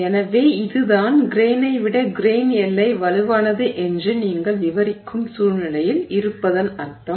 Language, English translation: Tamil, So, that is the implication of having a situation where you are describing it as saying grain boundary is stronger than the grain